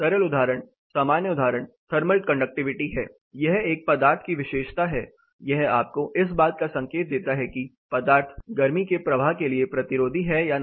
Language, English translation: Hindi, Simple example, common example is the thermal conductivity; it is a material level property, it gives you the indicative idea about whether the material is resistive to the heat flow or not